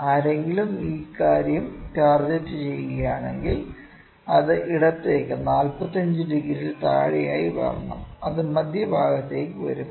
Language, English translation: Malayalam, If someone is targeting this thing it has to just come below 45 degree towards left and it will come to the centre